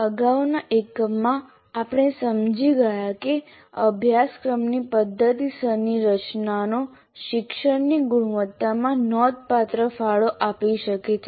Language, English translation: Gujarati, In the previous unit, we understood the significant contribution a systematic design of a course can make to the quality of learning